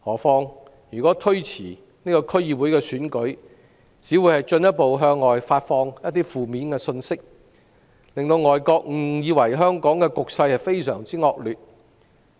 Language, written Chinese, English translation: Cantonese, 此外，推遲區議會選舉，只會進一步向外發放負面信息，令外國誤以為香港的局勢非常惡劣。, Moreover postponing the DC Election will only send another negative message misleading foreign countries into thinking that the situation in Hong Kong is deplorable